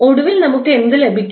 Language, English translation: Malayalam, So, finally what we got